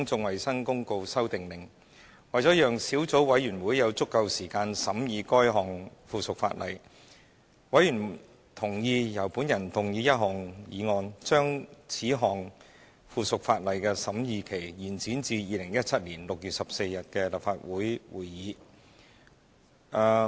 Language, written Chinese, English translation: Cantonese, 為了讓小組委員會有足夠時間審議該項附屬法例，委員同意由我動議一項議案，把此項附屬法例的審議期延展至2017年6月14日的立法會會議。, To allow sufficient time for the Subcommittee to scrutinize this subsidiary legislation Members have agreed that I should move a motion to extend the scrutiny period for this subsidiary legislation to the Legislative Council Meeting on 14 June 2017